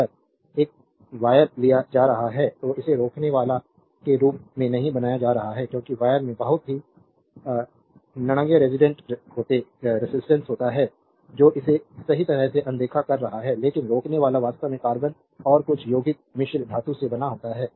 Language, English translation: Hindi, If you take a wire you cannot modeled is as a resistor, because wire has a very negligible resistance you can ignore it right, but resistor actually made of your what you call the carbon and some compound alloy, right